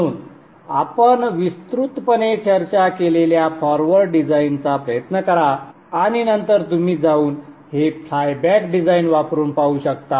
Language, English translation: Marathi, So try the forward design which we have discussed extensively and then you can go and try this flyback design